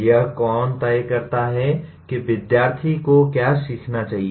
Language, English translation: Hindi, Who decides what is it that the students should learn